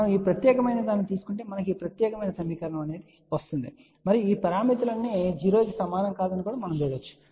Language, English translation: Telugu, If we take this particular thing we will get this particular equation and you can actually see that all these parameters are not equal to 0